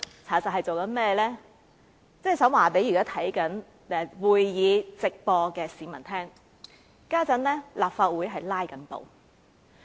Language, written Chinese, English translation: Cantonese, 我只想告訴現正觀看會議直播的市民，立法會正在"拉布"。, I just wish to tell those members of the public who are watching the live broadcast of this meeting that the Legislative Council is embroiled in filibusters